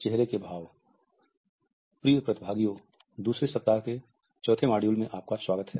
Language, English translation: Hindi, Welcome dear participants to the fourth module of the second week